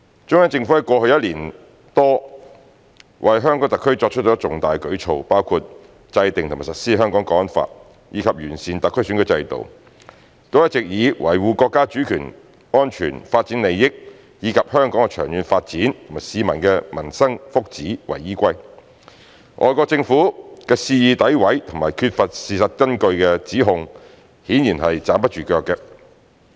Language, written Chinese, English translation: Cantonese, 中央政府過去一年多為香港特區作出的重大舉措，包括制定和實施《香港國安法》，以及完善特區選舉制度，都一直以維護國家主權、安全、發展利益，以及香港的長遠發展和市民的民生、福祉為依歸。外國政府的肆意詆毀和缺乏事實根據的指控顯然站不住腳。, All through the past one year or so the important actions and measures made by the Central Government for the Hong Kong Special Administrative Region HKSAR including those of enacting and implementing the National Security Law for Hong Kong NSL and improving the electoral system of the HKSAR were meant to safeguard our countrys sovereignty national security development interests Hong Kongs long - term development as well as Hong Kong peoples livelihoods and well - being thus rendering the wanton denigration and groundless accusations by foreign governments evidently untenable